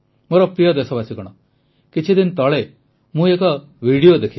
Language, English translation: Odia, just a few days ago I watched a video